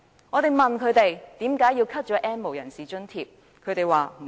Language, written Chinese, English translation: Cantonese, 我們問他們，為何削減 "N 無人士"的津貼？, We ask them why subsidies for the N have - nots are slashed; their reply is that the subsidies are not needed